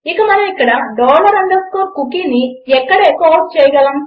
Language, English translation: Telugu, And we can echo out dollar underscore cookie here